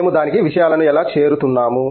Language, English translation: Telugu, How we are approaching things to it